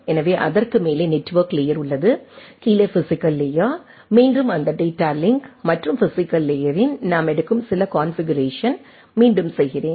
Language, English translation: Tamil, So, above it is the network layer, down is the physical layer again I am repeating some of the configuration we take that data link and physical layer together